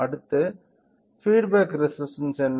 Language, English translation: Tamil, Next, what is the feedback resistance